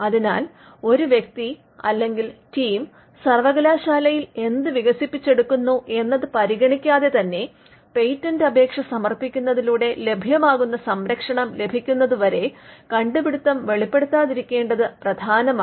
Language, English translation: Malayalam, So, regardless of what a person or a team develops in the university, it is important that the invention is not disclosed until it is protected by filing a patent application